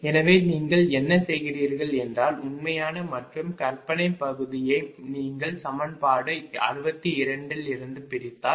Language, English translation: Tamil, you separate real and imaginary part from equation sixty two